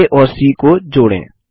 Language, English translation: Hindi, Let us join A and C